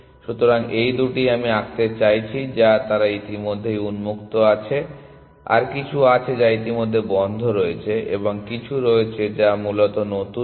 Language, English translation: Bengali, So, these two I mean to draw is that they are already on open there are some which are already in closed and there is some which are new nodes essentially